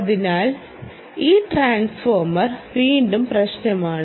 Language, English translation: Malayalam, so this transformer, again is the issue